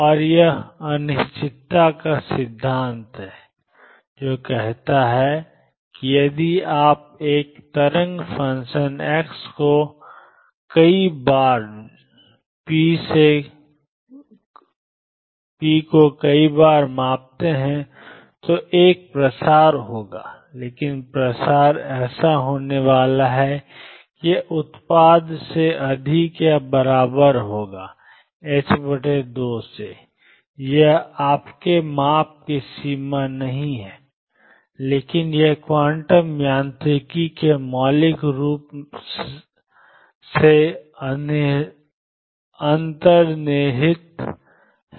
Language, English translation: Hindi, And this is the uncertainty principle, which says that if you measure for a wave function x many many times and p many many times there will be a spread, but the spread is going to be such that it is product will be greater than or equal to h cross by 2, it is not a limitation of your measurement, but this is fundamentally inherent in quantum mechanics